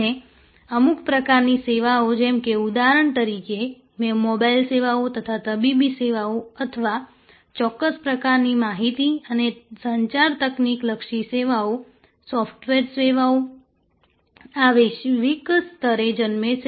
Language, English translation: Gujarati, And certain types of services like for example, say mobile services or medical services or certain types of information and communication technology oriented services, software services, these are today born global